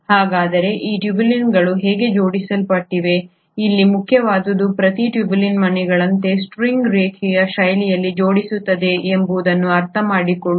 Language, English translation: Kannada, So how do these tubulins arrange, what is important here is to understand that each tubulin arranges in a linear fashion, like a string of beads